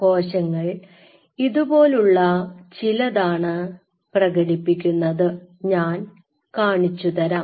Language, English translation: Malayalam, And after that all the cells here express it is something like them I will show you